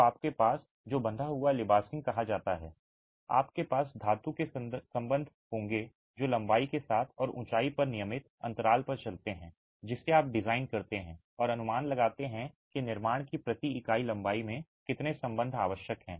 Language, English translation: Hindi, So, you have what is called tied veneering, you will have metal ties that run along the length and along the height at regular intervals which you design and estimate how many ties are required per unit length of construction itself